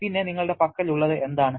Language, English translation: Malayalam, Then, what you have